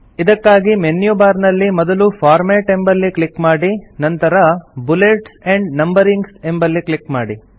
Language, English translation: Kannada, This is accessed by first clicking on the Format option in the menu bar and then clicking on Bullets and Numbering